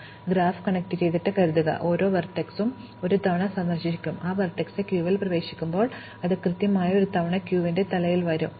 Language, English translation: Malayalam, Because, assuming the graph is connected, every vertex will be visited once and when that vertex is visited it will enter the queue and it will come out from the head of the queue exactly once